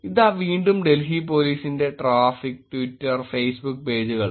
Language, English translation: Malayalam, Again Delhi traffic, Twitter and Facebook pages